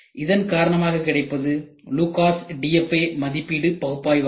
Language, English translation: Tamil, So, this is nothing, but Lucas DFA evaluation analysis